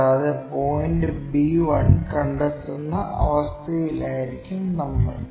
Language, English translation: Malayalam, And, we will be in a position to locate point b 1